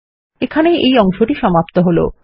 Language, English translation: Bengali, Thats the end of this part